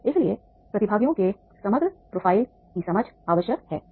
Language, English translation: Hindi, So therefore that is the understanding the overall profile of the participants is necessary